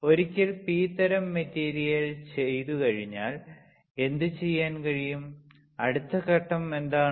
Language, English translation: Malayalam, P type material once that is done; what is the next step